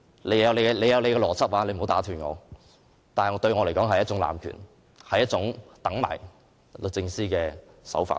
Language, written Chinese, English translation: Cantonese, 你有你的邏輯，你不要打斷，但對我來說，這是一種濫權，是一種等待律政司的做事手法。, You have your own logic but you should not interrupt me . To me this is an abuse of power and a means to wait for DoJ